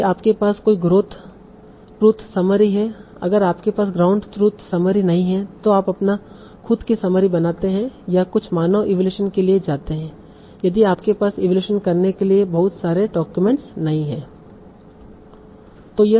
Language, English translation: Hindi, If you do not have a ground truth summary, one way is you create your own summary or you do go for some human evaluation if you do not have a lot of documents to evaluate